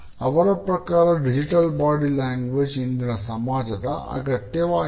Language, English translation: Kannada, Digital body language according to him has become a need in today’s society